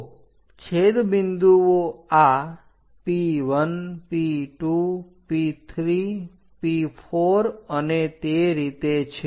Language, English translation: Gujarati, So, the intersection points are at this P1, P2, P3, P4, and so on